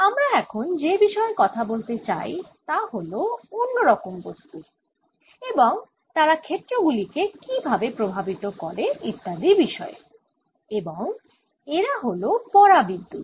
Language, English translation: Bengali, what we want to talk about now is another kind of material and how they affect the fields, etcetera is dielectrics in particular